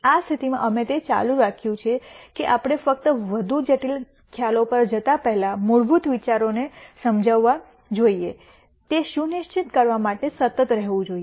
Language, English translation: Gujarati, In this case we have kept that to be a constant just to make sure that we explain the fundamental ideas rst before moving on to more complicated concepts